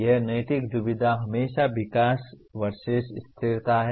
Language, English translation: Hindi, So the ethical dilemma is always development versus sustainability